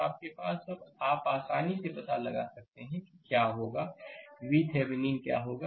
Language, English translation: Hindi, So, now you have now you can easily find out what will be your, what will be your V Thevenin